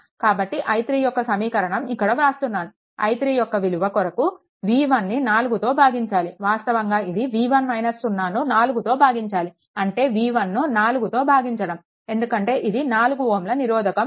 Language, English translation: Telugu, So, i 3 is equal to writing here, i 3 is equal to this is b 1 by 4, actually b 1 minus 0 by 4 that is your b 1 by 4, because this 4 ohm resistances here, right